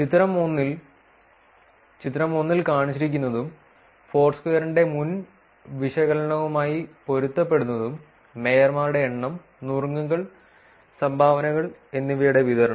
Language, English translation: Malayalam, For the figure 1, as shown in the figure 1 and consistent with previous analysis of Foursquare the distribution of number of mayorships, tips and dones